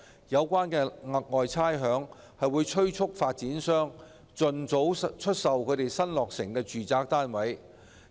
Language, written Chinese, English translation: Cantonese, 有關的"額外差餉"會催促發展商盡早出售新落成的住宅單位。, The special rates concerned will press developers to sell newly completed residential flats as early as possible